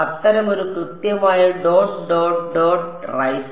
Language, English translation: Malayalam, Such a exactly whatever dot dot dot right